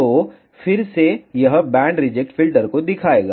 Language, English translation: Hindi, So, again it will show band reject filter